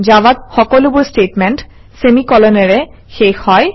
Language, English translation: Assamese, In Java, all statements are terminated with semicolons